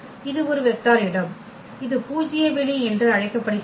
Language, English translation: Tamil, This is a vector space which is called null space